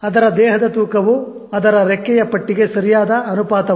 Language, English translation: Kannada, Its body weight is not the right proportion to its wingspan